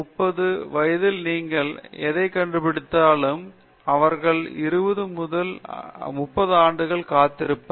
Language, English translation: Tamil, Whatever you figured out at the age of 25, 30 or 35, they will wait for 20 or 30 years